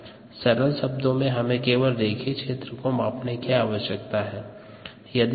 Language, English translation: Hindi, in other words, we need to measure only in this linear region